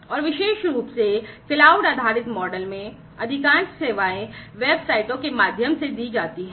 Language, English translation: Hindi, And particularly in the cloud based model, most of the services are offered through websites right